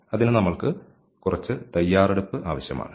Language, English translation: Malayalam, So, for that we need some preparation